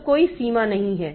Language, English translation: Hindi, So, there is no limit